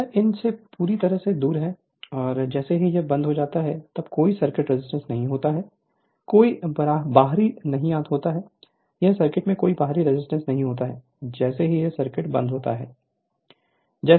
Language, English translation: Hindi, So, this is totally off from these and as soon as you close it that will give you the what you call that no circuit resistance, no external, no external resistance in this in this circuit as soon as you close it